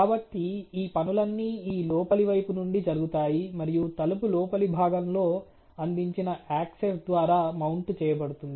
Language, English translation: Telugu, So, all these things are done through this inner side and the mounting is given by the access provided on the inner side of the door